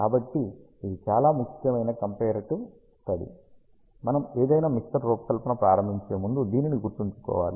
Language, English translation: Telugu, So, this is a very important comparative study that has to be kept in mind before we start designing any mixer